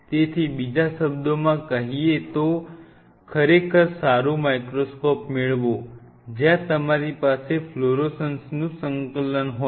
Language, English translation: Gujarati, So, in other word then get a really good microscope, where you have an integration of the fluorescence